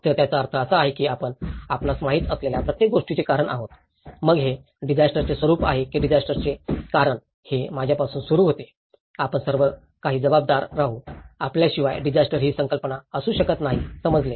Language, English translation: Marathi, So, which means we are the cause for everything you know, whether it is a nature of a disaster, the cause for a disaster, it starts with I, we will be responsible for everything, right without us, the concept of disaster cannot be understood